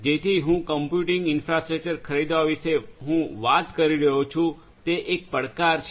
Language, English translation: Gujarati, So, buying the computing infrastructure I am talking about right so that is a challenge